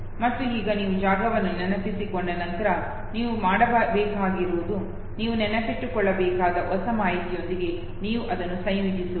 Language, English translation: Kannada, And now once you have the memory of the space all you have to do is, that you associate it to the new information that you are supposed to memories, okay